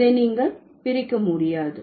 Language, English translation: Tamil, You cannot divide it